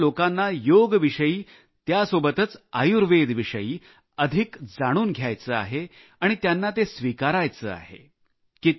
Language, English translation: Marathi, People everywhere want to know more about 'Yoga' and along with it 'Ayurveda' and adopt it as a way of life